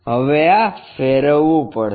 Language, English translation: Gujarati, Now, this has to be rotated